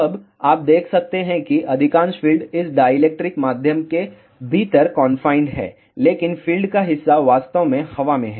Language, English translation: Hindi, Now, you can see here most of the field is confined within this dielectric medium, but part of the field is actually in the air